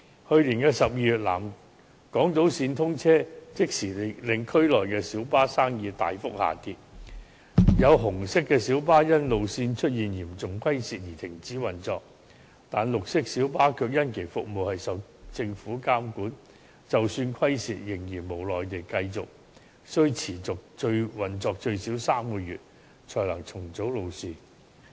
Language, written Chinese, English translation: Cantonese, 去年12月南港島線通車，即時令區內小巴生意大幅下跌，有紅色小巴更因路線出現嚴重虧蝕而停止運作，但綠色小巴卻由於服務受到政府監管，即使有虧損，他們仍然無奈地須持續運作最少3個月才能重組路線。, The commissioning of the South Island Line last December caused an immediate plunge of business of minibuses . Some red minibuses had to cease operation because of substantial deficits incurred on certain routes . Monitored by the Government green minibuses could do nothing despite deficits but continue their operation for at least three months before route rationalization could take place